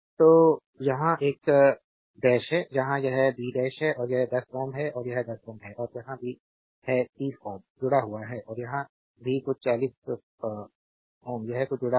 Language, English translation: Hindi, So, here it is a dash right, here it is b dash and this is 10 ohm and this is your 10 ohm and here also that 30 ohm is connected and here also some 50 ohm is connected something it